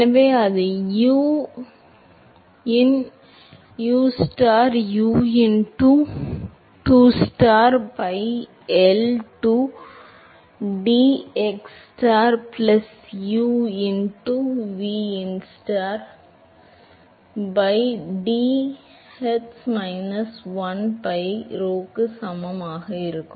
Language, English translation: Tamil, So, that will be u into ustar u into dustar by L into dxstar plus u into vstar u into vu star by vy star t hats equal to minus 1 by rho